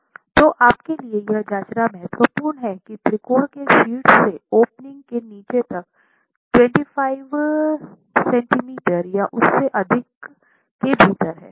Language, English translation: Hindi, So what is important is for you to check whether the apex of the triangle to the bottom of the opening is within 25 centimeters or more